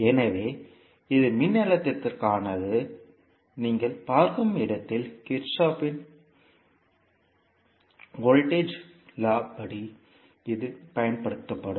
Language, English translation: Tamil, So this was for the voltage, where you see, this would be applied in case of Kirchhoff’s voltage law